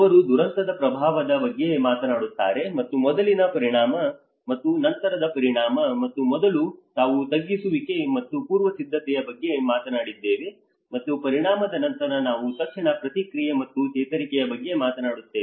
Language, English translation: Kannada, He talks about the impact, and one is the before impact and the after impact, and in the before, we talked about the mitigation and the preparation, and after the impact, we immediately talk about the response and the recovery